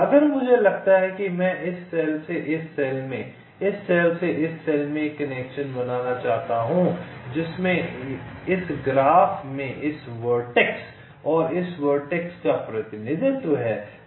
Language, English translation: Hindi, if suppose i want to make a connection from this cell to this cell, this cell to this cell, which in this graph represents this vertex and this vertex